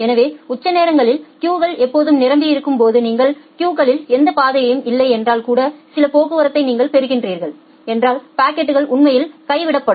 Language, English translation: Tamil, So, when the peak queues are always full and you are getting certain traffic if you do not have any passage in a queue, the packet will actually get dropped